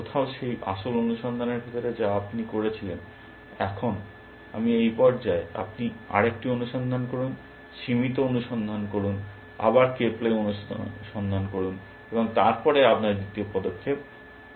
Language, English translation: Bengali, Somewhere inside that original search that you did, now I this stage, you do another search, limited search, again k ply search, and then make your second move